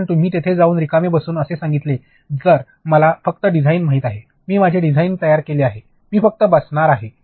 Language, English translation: Marathi, Because, if you go and sit there blank and say that I know only design I have created my design, I am just going to sit